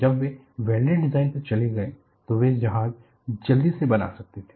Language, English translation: Hindi, When they switched over to welded design, they could quickly make the ships